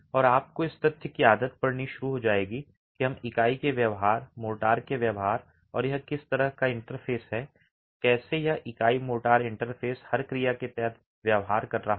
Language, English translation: Hindi, And you will start getting used to the fact that we are going to be talking about the behavior of the unit, the behavior of the motor and how is the interface, how is this unit motor interface behaving under every action